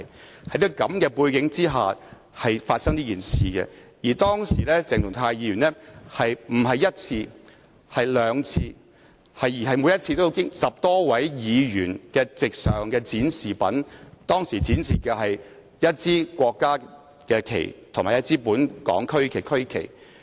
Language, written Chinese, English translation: Cantonese, 這件事是在這種背景下發生，而當時鄭松泰議員並非一次而是兩次經過10多位議員席上的展示品，即一支國旗和本港區旗。, This incident took place against such a backdrop and at that time Dr CHENG Chung - tai passed by the national flags and regional flags displayed and placed before the seats of some 10 Members twice but not once